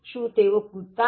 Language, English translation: Gujarati, So, won’t they jump